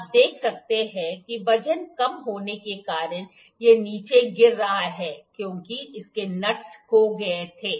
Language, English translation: Hindi, You can see because of the weight it is falling down because its nuts were lose